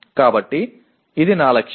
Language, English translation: Telugu, So this is my target